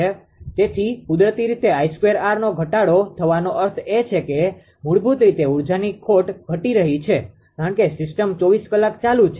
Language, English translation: Gujarati, So, naturally as I square r loss getting decreased means basically energy loss is getting decreased right because system is on for 24 hours